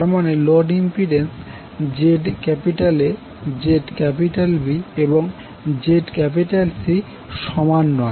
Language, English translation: Bengali, It means that the load impedances that is ZA, ZB, ZC are not same